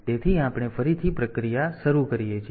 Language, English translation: Gujarati, So, we start the process again